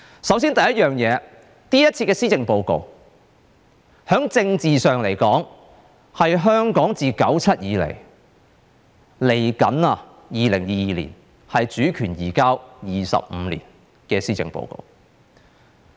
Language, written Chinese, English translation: Cantonese, 首先，今次的施政報告，在政治上是香港自1997年以來，到即將來臨的2022年，主權移交25年的施政報告。, First politically speaking this Policy Address is one that summarizes the 25 years since the transfer of sovereignty that is from 1997 to the coming 2022